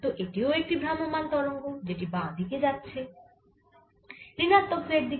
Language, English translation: Bengali, so this is also a travelling wave which is travelling to the left or to the negative z direction